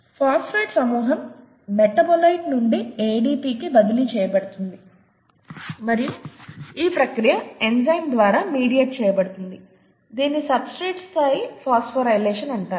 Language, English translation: Telugu, The phosphate group is transferred from a metabolite to ADP and is, the process is mediated by an enzyme, that’s what is called substrate level phosphorylation